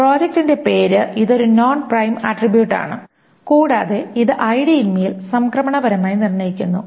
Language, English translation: Malayalam, Project name, it is a non prime attribute and it transitively determines on ID